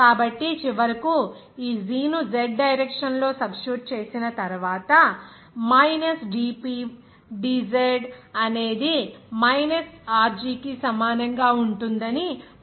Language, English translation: Telugu, So, finally after substitution of this g in the z direction, we can easily say that minus dp dz that will be equal to minus Rho g